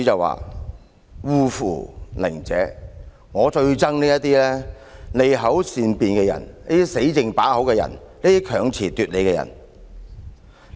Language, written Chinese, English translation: Cantonese, "他最討厭這些利口善辯、"死剩把口"、強詞奪理的人。, He despised such people of sophism those who know nothing but empty talks arguing with perverted logic